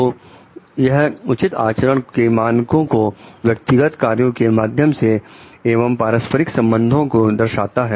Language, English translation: Hindi, So, it is demonstration of normative the appropriate conduct through personal actions and interpersonal relationships